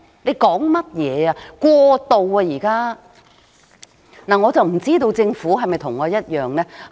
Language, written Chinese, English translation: Cantonese, 對於過渡房屋，我不知道政府的看法是否跟我一樣。, In respect of transitional housing I do not know whether the Government shares my view